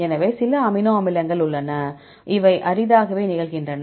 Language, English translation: Tamil, So, there are some amino acids right, which are rarely occurring